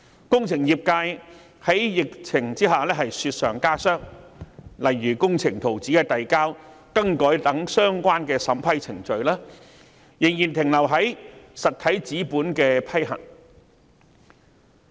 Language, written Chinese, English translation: Cantonese, 在疫情之下，工程業界的情況更是雪上加霜，例如遞交和更改工程圖紙等的相關審批程序，仍然停留在審核實體紙本的階段。, The situation faced by the engineering sector is even worse under the epidemic . For instance the relevant vetting and approval procedures for submission and alteration of engineering drawings etc . still remain at the stage of reviewing physical drawings